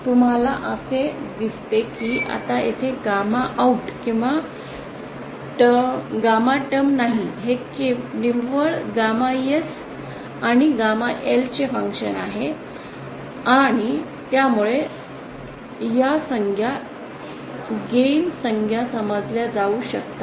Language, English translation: Marathi, As you can see it is now there is no gamma OUT or gamma IN term here it is purely a function of gamma S and gamma L and so these terms are can be considered as gain term